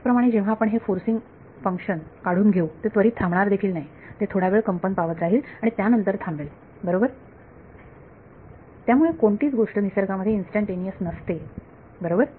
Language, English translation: Marathi, Similarly, when you remove the forcing function it does not instantaneously stop it goes for a while and then stops right, so nothing is instantaneous in nature right